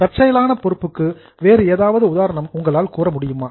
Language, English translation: Tamil, Any other example can you think of a contingent liability